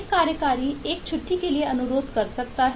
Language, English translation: Hindi, eh, as an executive can request for a leave